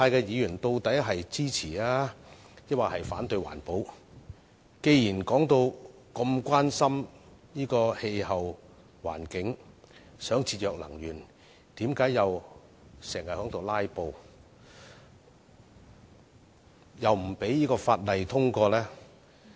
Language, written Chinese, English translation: Cantonese, 既然他們在發言時表現得如此關心氣候環境，想節約能源，為何又經常"拉布"呢？, As they appeared to be very much concerned about our climate and environment in their speeches and said that they wanted to reduce energy consumption why do they filibuster so often?